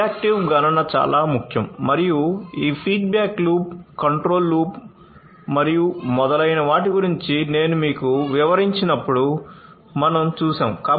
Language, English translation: Telugu, Reactive computation is very important and that we have seen when I explained to you about this feedback loop, the control loop and so on